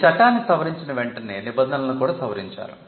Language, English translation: Telugu, Soon after amending the act, the rules were also amended